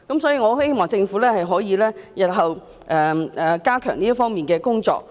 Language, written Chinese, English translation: Cantonese, 所以，我希望政府日後可以加強這方面的工作。, Therefore I hope the Government will step up the efforts in this respect